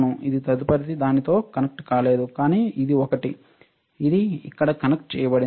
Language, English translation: Telugu, Yeah, this one is not connected with the next one, but this one, this one is connected to here